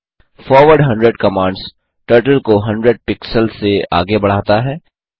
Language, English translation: Hindi, forward 100 commands Turtle to move forward by 100 pixels